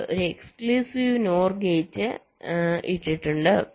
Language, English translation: Malayalam, we have put an exclusive node gates